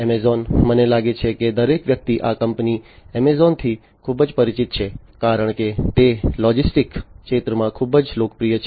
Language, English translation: Gujarati, Amazon, I think everybody is quite familiar with this company Amazon, because it is quite popular in the logistics sector